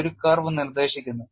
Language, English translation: Malayalam, This is dictated by a curve